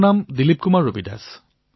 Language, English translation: Assamese, DILIP KUMAR RAVIDAS